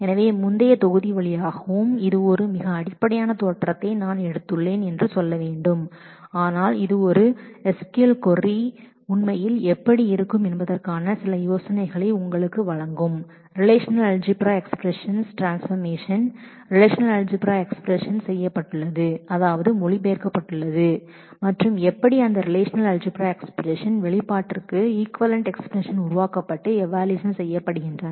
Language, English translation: Tamil, So, in through the previous module and this one we have taken a very elementary look I should say, but this will give you some idea of how actually an SQL query is transformed into relational algebra parsed and translated into relational algebra and how equivalent expressions for that relational algebra expression is generated and evaluated